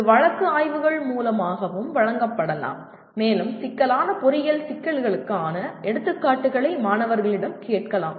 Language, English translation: Tamil, This also can be given through case studies and you can ask the students to give examples of complex engineering problems